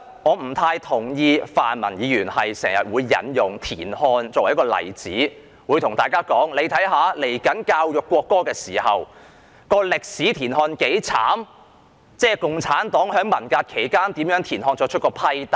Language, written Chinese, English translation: Cantonese, 我不太同意泛民議員時常引用田漢作為例子，對大家說稍後進行國歌教育時可從歷史看到田漢有多悽慘，共產黨在文革期間如何對田漢作出批鬥。, I do not quite agree to the practice of pan - democratic Members . They frequently use TIAN Han as an example to demonstrate how miserable he had been treated in history and how the Communist Party of China CPC had denounced him during the Cultural Revolution . Such information can be used during the education on the national anthem to be conducted in future